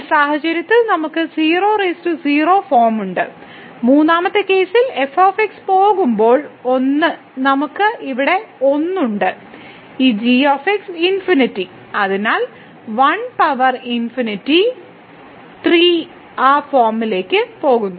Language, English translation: Malayalam, So, in this case we have infinity by infinity power 0 form and in the 3rd case we take as goes to 1 so, we have 1 here and this goes to infinity so, 1 power infinity the 3rd form